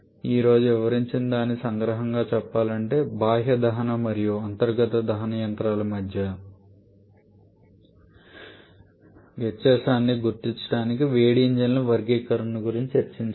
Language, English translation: Telugu, We have discussed about the classification of heat engines to identify the difference between external combustion and internal combustion engines